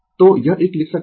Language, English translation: Hindi, So, this one you can write